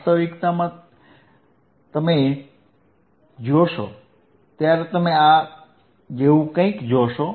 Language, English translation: Gujarati, In reality in reality, when you see, you will see something like this right